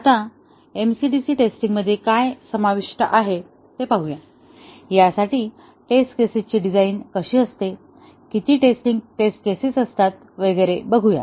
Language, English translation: Marathi, Now, let us see what is involved in MCDC testing, how we design the test cases for this, how many test cases and so on